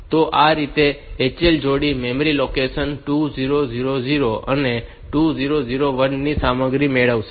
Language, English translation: Gujarati, So, this way this HL pair will get the content of memory locations 2000 and 2001